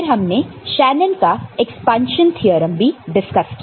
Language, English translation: Hindi, And we also discussed the Shanon’s expansions theorems